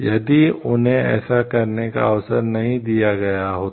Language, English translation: Hindi, If they were not given this chance to do so